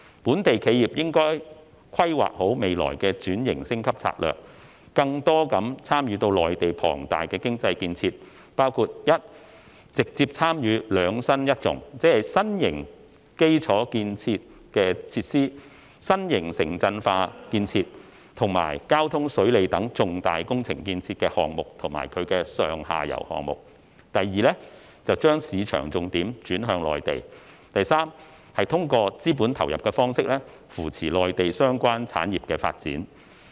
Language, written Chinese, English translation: Cantonese, 本地企業應規劃好未來的轉型升級戰略，更多地參與到內地龐大的經濟建設，包括：一直接參與"兩新一重"，即新型基礎設施建設，新型城鎮化建設及交通、水利等重大工程建設的項目或其上下游項目；二把市場重點轉向內地，以及三通過資本投入的方式，扶持內地相關產業發展。, Local enterprises should properly plan their future strategies of restructuring and upgrading and participate more in the huge economic construction in the Mainland by among others 1 directly participating in the new infrastructure and new urbanization initiatives as well as major transportation and water conservancy projects or their up - and downstream projects; 2 shifting the market focus to the Mainland; and 3 supporting the development of the relevant industries in the Mainland through capital contribution